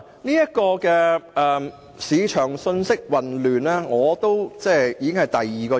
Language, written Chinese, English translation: Cantonese, 因此，市場信息混亂是我提出反對的第二個原因。, Therefore my second reason for opposing the present proposal is that it might produce confusing market information